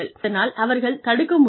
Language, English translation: Tamil, And, they are able to prevent them